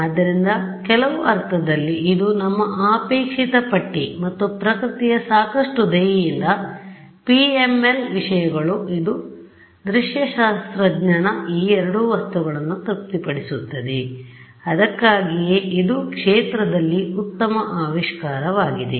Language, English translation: Kannada, So, in some sense, this is our wish list and nature is kind enough for us that this so called PML things it satisfies both these items of the visualist which is why it was a very good discovery in the field